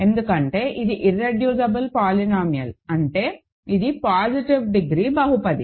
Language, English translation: Telugu, Because it is an irreducible polynomial so; that means, it is a positive degree polynomial